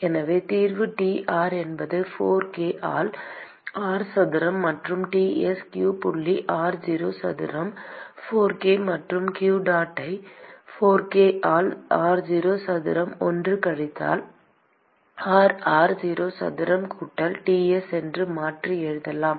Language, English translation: Tamil, So, the solution is T r is minus q dot by 4 k into r square plus Ts q dot r0 square by 4 k and, that we can simply rewrite as q dot by 4 k into r0 square 1 minus r by r0 square plus Ts